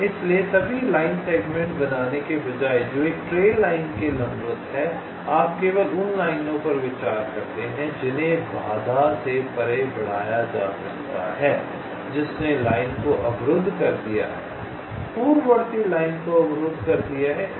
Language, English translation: Hindi, so, instead of generating all line segments that have perpendicular to a trail line, you consider only those lines that can be extended beyond the obstacle which has blocked the line, blocked the preceding line